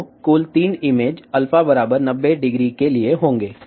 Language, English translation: Hindi, So, there will be total three images for alpha equal to 90 degree